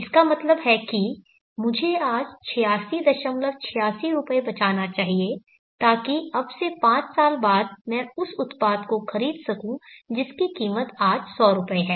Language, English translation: Hindi, 86 rupees today, so that five years from now I can buy that product which costs 100 rupees today